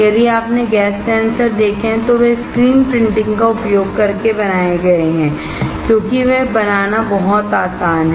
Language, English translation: Hindi, If you have seen gas sensors, they are made using screen printing because, they are very easy to fabricate